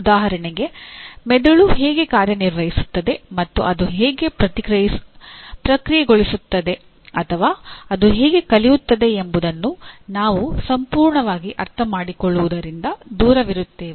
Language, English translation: Kannada, For example we are far from fully understanding how brain functions and how does it process or how does it learn